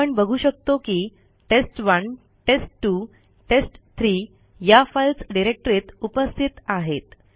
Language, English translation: Marathi, As you can see test1,test2 and test3 are present in this directory